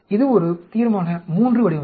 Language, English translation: Tamil, That is a Resolution III design